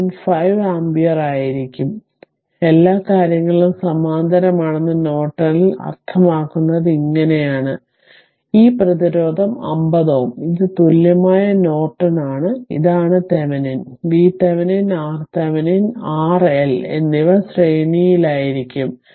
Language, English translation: Malayalam, So, this is how actually we find out that means, in Norton that all the things are in parallel; this resistance 50 ohm and this is equivalent Norton, and this is ah what you call that Norton your current in the case of Thevenin, V Thevenin R, Thevenin R L all are in ah series